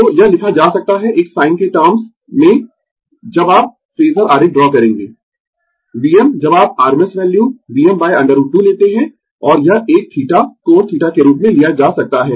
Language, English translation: Hindi, So, this can be written as in the terms of when you will draw the phasor diagram, V m when you take the rms value V m by root 2, and this one can be taken as theta, angle theta